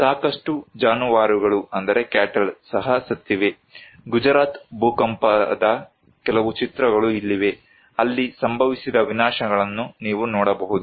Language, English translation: Kannada, There are also lots of cattle dead, here are some of the picture of Gujarat earthquake, you can see the devastations that happened there